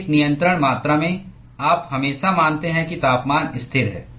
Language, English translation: Hindi, In a control volume, you always assume that the temperature is constant